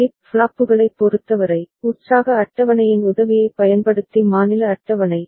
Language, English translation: Tamil, In terms of flip flops, then state table using the help of excitation table